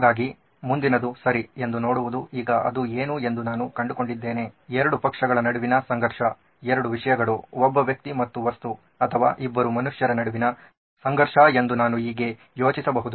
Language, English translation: Kannada, So the next was to see okay now that I have found out what is it that is causing that, how can I think about it as a conflict between two parties, two things, a thing a human and a thing or a between two humans